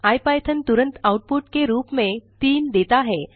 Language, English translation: Hindi, IPython promptly gives back the output as 3